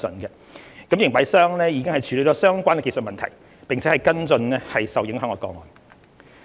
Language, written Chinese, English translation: Cantonese, 營辦商已處理相關技術問題，並跟進受影響個案。, The concerned operator has already handled the relevant technical issue and taken follow up actions on the affected cases